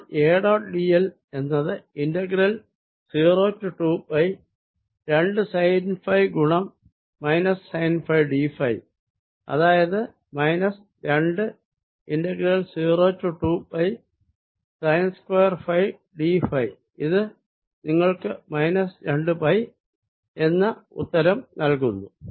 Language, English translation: Malayalam, so a dot d l is going to be two sine phi times minus sine phi d phi integral from zero to two pi, which is minus two integral sine square phi d phi zero to two pi, and this indeed gives you minus two pi